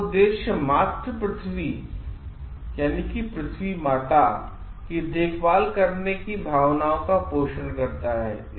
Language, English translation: Hindi, It aims at nurturing the feelings of having care for mother earth